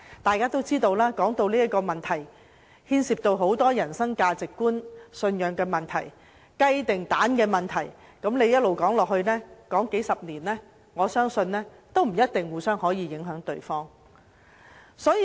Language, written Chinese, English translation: Cantonese, 眾所周知，這個問題牽涉很多價值觀和信仰問題，是"雞與雞蛋"的問題，即使繼續說下去，花數十年亦未必可以改變彼此的看法。, As we all know this issue involves many other issues pertaining to values and conscience . It is a chicken - and - egg question . Even if we kept talking for decades we might still not change each others point of view